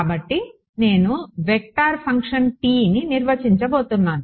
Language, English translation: Telugu, So, I am going to define a vector function T